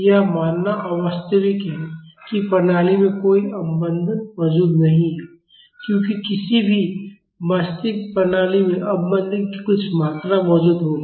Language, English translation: Hindi, It is unrealistic to assume that there is no damping present in the system because any real system will have some amount of damping present in it